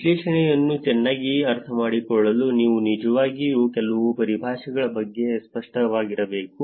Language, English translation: Kannada, To understand the analysis better you need to actually be clearer about some of the terminologies